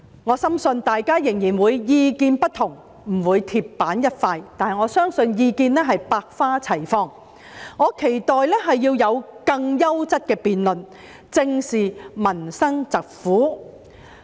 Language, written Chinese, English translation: Cantonese, 我深信大家仍然會有不同意見，不會鐵板一塊，但我相信意見是百花齊放的，我期待會有更優質的辯論，大家能正視民生疾苦。, I am convinced that we will still have different opinions rather than being monolithic . I believe that there will be a diversity of views and I look forward to better quality debates where we can face up to the hardships of the people